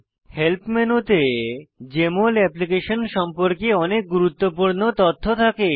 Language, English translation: Bengali, Help menu has a lot of useful information about Jmol Application